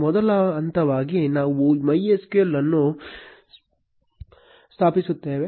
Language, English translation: Kannada, As first step we will install MySQL